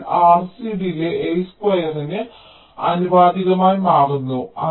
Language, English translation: Malayalam, so r, c delay becomes proportional to l square